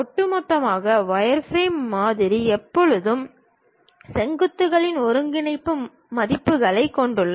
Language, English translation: Tamil, On overall, the wireframe model always consists of coordinate values of vertices